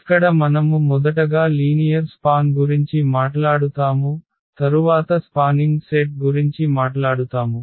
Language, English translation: Telugu, And here we will be talking about the linear span first and then will be talking about spanning set